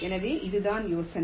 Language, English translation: Tamil, ok, so this is the idea